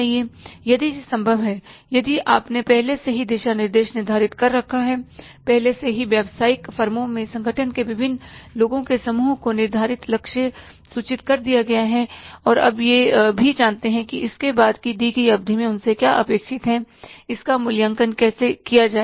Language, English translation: Hindi, If that is possible, if you have already set the roadmap, already have communicated the target to the different set of people in the organization in the business firms and now they also know it that after the given period of time what is expected from them it will be evaluated